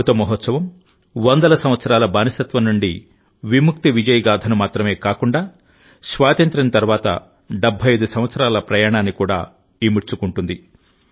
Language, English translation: Telugu, The Amrit Mahotsav not only encompasses the victory saga of freedom from hundreds of years of slavery, but also the journey of 75 years after independence